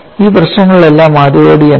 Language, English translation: Malayalam, In all this problems, what is the first step